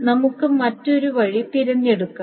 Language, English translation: Malayalam, Now, let us choose the other way down